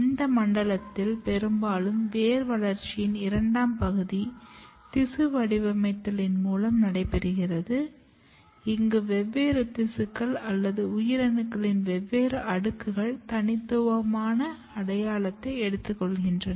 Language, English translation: Tamil, And during this zone mostly tissue patterning the second part of the development in the root takes place, where different tissues or different layers of the cells they take a very special identity